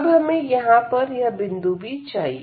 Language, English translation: Hindi, So, now, we also need to get this point here